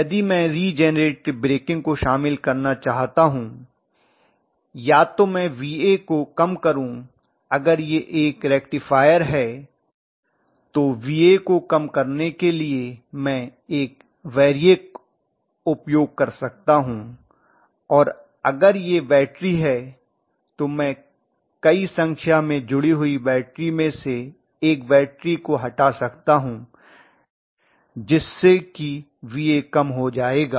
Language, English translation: Hindi, If I want regenerative breaking to be incorporated, what I can do is either I reduce VA, if it is like a rectifier I would be able to put a variac or whatever and reduce VA or if it is like a battery I connected multiple number of batteries I can remove one of the batteries, so that VA will be decreased